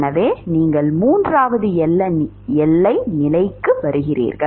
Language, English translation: Tamil, So, you will come to the third boundary condition